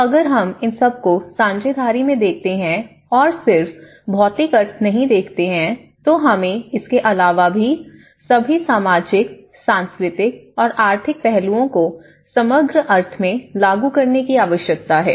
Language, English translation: Hindi, So, all this putting together, apart from only limiting to the physical sense, we need to embed all the social and cultural and economic aspects sent to it in a holistic sense